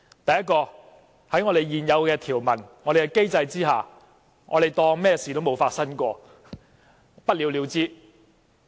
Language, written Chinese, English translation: Cantonese, 第一，根據現有條文，在我們的機制之下，當作甚麼事情也沒有發生，不了了之。, First according to the existing provisions under the current mechanism we can pretend nothing has happened and sit on it